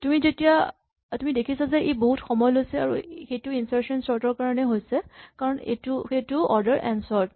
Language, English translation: Assamese, So, you can see it takes a long time and that is because InsertionSort, it is again order n square sort